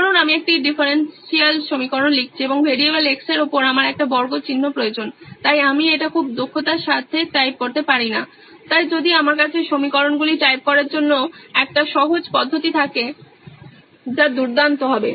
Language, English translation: Bengali, Suppose I am writing a differential equation and I need a square sign over the variable x, so I cannot type it very efficiently, so if I had a simpler method to type equations that would be great